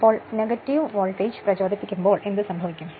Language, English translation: Malayalam, So, at that time what will happen that when negative voltage will be induced